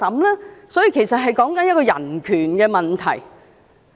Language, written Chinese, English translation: Cantonese, 因此，此事關乎的是人權問題。, Hence this is a matter of human rights